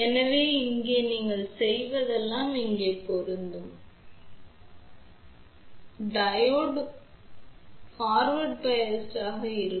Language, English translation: Tamil, So, here all you do it is apply plus over here and let us say this is a 0 voltage, then Diode will be forward biased